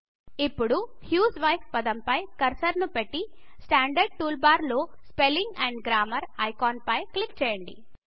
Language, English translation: Telugu, Now place the cursor on the word husewife and click on the Spelling and Grammar icon in the standard tool bar